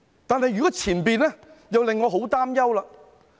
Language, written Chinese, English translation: Cantonese, 但如果是前者，這又令我十分擔憂。, But if it is the former it worries me a lot